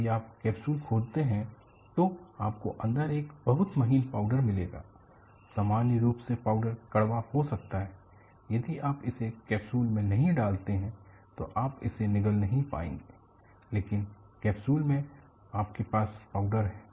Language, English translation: Hindi, If you open up the capsule, you will find a very fine powder inside; thepowder,is in general, may be bitter; you will not be able to swallow it if it is not put in a capsule, but with in a capsule, you have powder